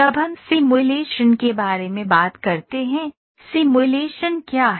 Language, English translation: Hindi, So, when we talk about the simulation; simulation what is simulation